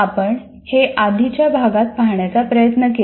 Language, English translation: Marathi, That's what we tried to do in the earlier unit